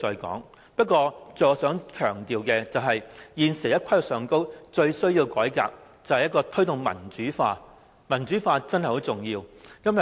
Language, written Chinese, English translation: Cantonese, 但我想強調的是，現時在規劃上最需要改革的是必須推動民主化，因為民主化真的很重要。, But I would like to stress that we must promote democratization in the planning process because democratization is really important